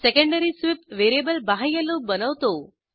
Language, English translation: Marathi, Secondary sweep variable forms the outer loop